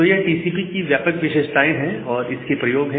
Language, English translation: Hindi, So, these are the broad features and the uses of TCP